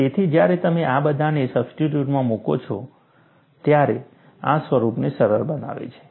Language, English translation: Gujarati, So, when you substitute all this, this simplifies to this form